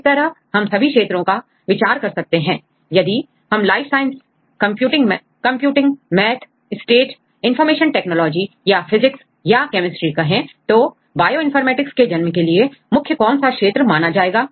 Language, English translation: Hindi, So, we consider all the fields; if we say life science, computing, maths, stat, information technology or physics or chemistry, which one is the some major field for the birth of Bioinformatics